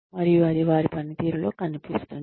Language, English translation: Telugu, And, that will show in their performance